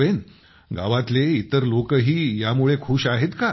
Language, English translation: Marathi, And the rest of the people of the village are also happy because of this